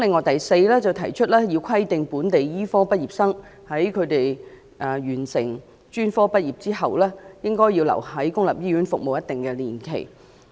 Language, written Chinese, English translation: Cantonese, 第四，規定本地醫科畢業生在專科畢業後須在公立醫院服務一定年期。, Fourthly local medical graduates should be required to serve in public hospitals for certain years after graduation from their specialist studies